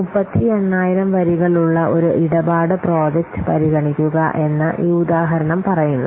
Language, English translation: Malayalam, This example said that consider a transaction project of 38,000 lines of course